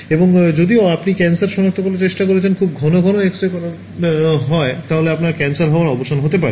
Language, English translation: Bengali, And, although you are trying to detect cancer you may end of getting cancer because of getting very frequent X rays